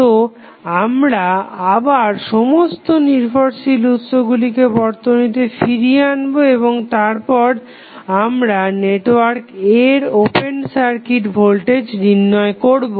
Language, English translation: Bengali, So, we will again put the Independent Sources back to the circuit, and then we will find the voltage that is open circuit voltage across the terminal of network A